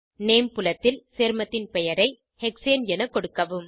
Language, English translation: Tamil, In the Name field, enter the name of the compound as Hexane